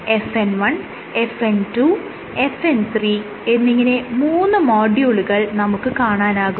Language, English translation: Malayalam, FN 1, FN 2 and FN 3 and , these modules are repeated